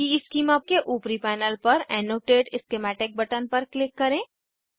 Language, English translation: Hindi, On top panel of EESchema, Click on Annotate schematic button